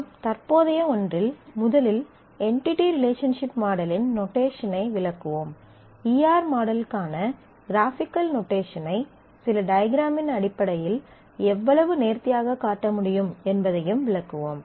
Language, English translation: Tamil, In the present one, we will first illustrate the entity relationship diagram notation; that graphical notation for E R model, how nicely this can be shown in terms of certain diagrams